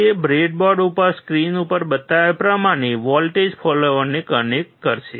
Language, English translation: Gujarati, He will connect the voltage follower as shown on the screen on the breadboard